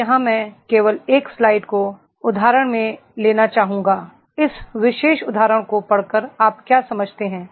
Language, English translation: Hindi, Now here I would like to take the 1st slide just by the quotation, what do you understand by reading this particular quotation